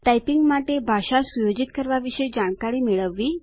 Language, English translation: Gujarati, Get to know information about setting language for typing